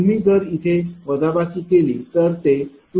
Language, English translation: Marathi, 75 if you subtract here right so, it will be 14